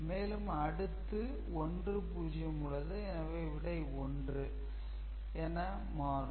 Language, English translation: Tamil, So, there is a this is 0 so this is again 1